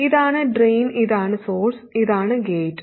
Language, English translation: Malayalam, This is the drain, this is the source and this is the gate